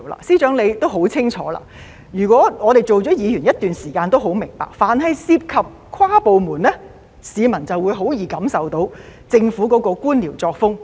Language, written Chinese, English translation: Cantonese, 司長，你也很清楚，我們做了議員一段時間都很明白，凡涉及跨部門的政策措施，市民便會很容易感受到政府的官僚作風。, Secretary it is all too clear to you and also to us who have been Members for some time that whenever it comes to cross - departmental policy initiatives members of the public will easily experience the bureaucratic red tape of the Government